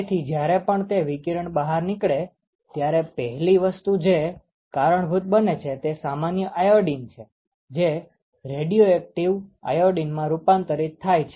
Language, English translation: Gujarati, So, whenever there is an exposure to radiation, one of the first thing that gets triggered is actually the normal iodine get us converted into the radioactive form of iodine